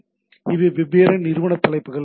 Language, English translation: Tamil, So these are the different entity headers